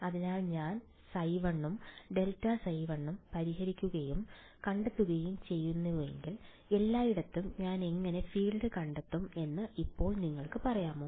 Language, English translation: Malayalam, So, now can you tell me supposing I solve for and find phi 1 and grad phi, 1 how will I find the field everywhere